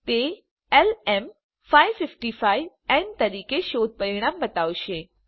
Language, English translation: Gujarati, It will show the search result as LM555N